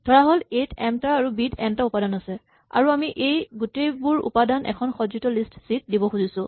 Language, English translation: Assamese, So, suppose A has m elements and B has n elements and we want to put all these elements together into a single sorted list in C